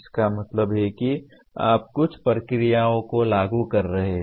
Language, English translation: Hindi, That means you are applying certain processes